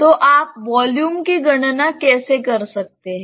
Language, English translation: Hindi, So, how can you calculate the volume